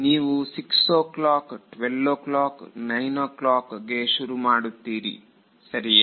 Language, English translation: Kannada, You are starting at 6 o’ clock, 12 o’ clock, 9 o’ clock ok